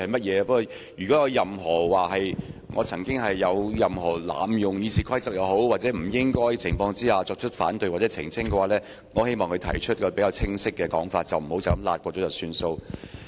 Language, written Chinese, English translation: Cantonese, 如果她認為我曾經濫用《議事規則》或在不恰當的情況下提出反對或澄清，我希望她說得清晰一點，不要輕輕帶過便算。, If she thinks that I have abused the Rules of Procedure or raise objection or seek elucidations under inappropriate circumstances I hope she can state them more clearly instead of brushing aside this issue lightly